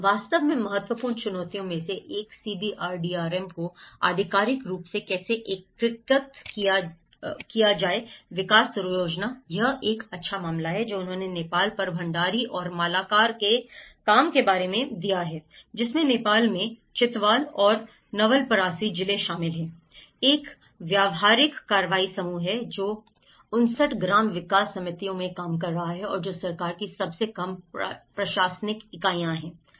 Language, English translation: Hindi, In fact, the one of the important challenges how to integrate the CBRDRM with official development planning; this is a good case which they have given about Bhandari and Malakar work on Nepal, wherein the districts of Chitwal and Nawalparasi in Nepal, there is a practical action group was working in 59 village development committees and which are the lowest administrative units of government